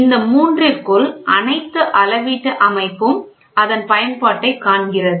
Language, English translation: Tamil, So, within these three only all these measured system finds its application